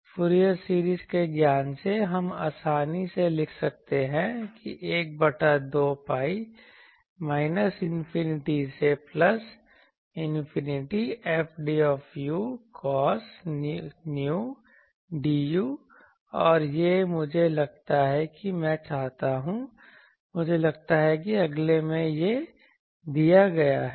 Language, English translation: Hindi, From the Fourier series knowledge, we can easily write that 1 by 2 pi minus infinity to plus infinity F I am writing F specified or a desired u cos n u d u and this is suppose I want that the I think in the next one it is given